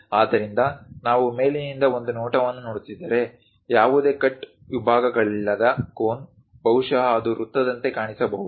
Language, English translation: Kannada, So, if we are looking at a view all the way from top; a cone without any cut sections perhaps it might looks like a circle